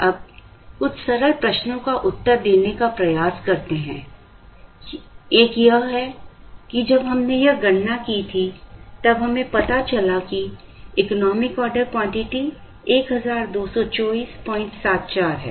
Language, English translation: Hindi, Now, let us try and answer a few simple questions, one is when we did this calculation, we have now found out that, the economic order quantity is 1224